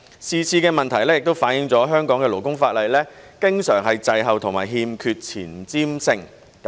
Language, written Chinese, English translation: Cantonese, 是次的問題亦反映了香港的勞工法例經常滯後和欠缺前瞻性。, The issue this time also shows that Hong Kongs labour legislation always lags behind without any vision